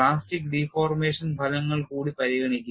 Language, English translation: Malayalam, One should also consider effects of plastic deformation